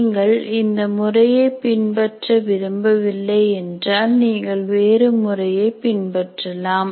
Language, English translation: Tamil, If you don't want to follow this method at all, you can follow some other method